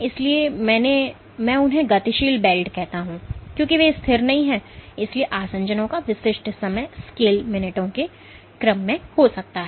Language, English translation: Hindi, So, I call them dynamic welds because they are not static so typical time scale of adhesions might be in the order of minutes